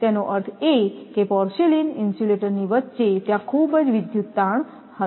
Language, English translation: Gujarati, That mean, in between that in porcelain insulator is there will be highly electrical stress right